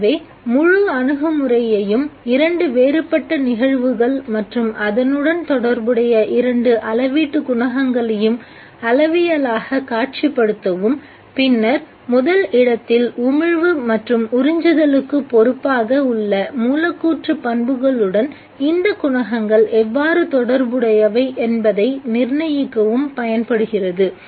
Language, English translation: Tamil, So the whole approach is to quantitatively visualize two different phenomena and associate with it two measurable coefficients and then determine how these coefficients are related to the molecular properties which are responsible for the emission and the absorption in the first place